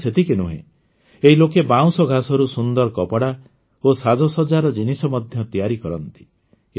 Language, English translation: Odia, Not only this, these people also make beautiful clothes and decorations from bamboo grass